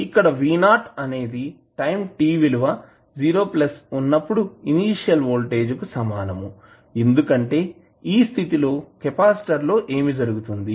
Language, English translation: Telugu, Here, v naught is the initial voltage at time t is equal to 0 plus because what happens in the case of capacitor